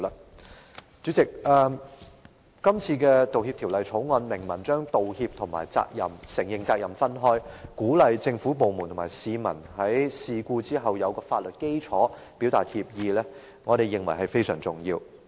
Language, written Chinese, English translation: Cantonese, 代理主席，今次的《條例草案》明文將道歉和承認責任分開，以提供法律基礎，鼓勵政府部門和市民在事故發生後，表達歉意，我們認為是非常重要的。, Deputy President the Bill expressly makes a distinction between an apology and an admission of responsibility thereby providing a legal foundation for encouraging government departments and citizens to convey regret after an incident has happened . We consider this very important